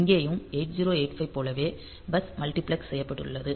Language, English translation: Tamil, So, here also like 8 0 8 5 the bus is multiplexed